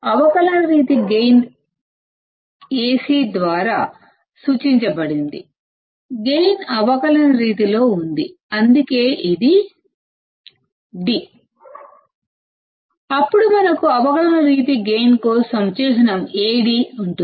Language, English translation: Telugu, Differential mode gain is given by Ad; the gain is in differential mode, that is why it is d; then we have the symbol Ad for differential mode gain